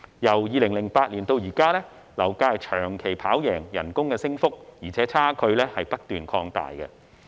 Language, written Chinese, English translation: Cantonese, 由2008年至今，樓價的升幅長期高於工資的升幅，而且差距不斷擴大。, From 2008 till now the increase in property price has been higher than that in income and the discrepancy continues to grow